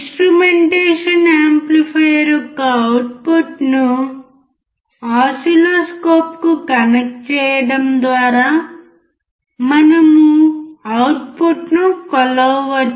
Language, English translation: Telugu, We can measure the output by connecting the output of the instrumentation amplifier to the oscilloscope